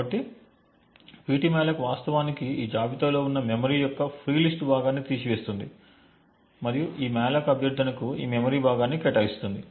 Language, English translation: Telugu, So, ptmalloc would in fact remove a free list chunk of memory present in this list and allocate this chunk of memory to this malloc request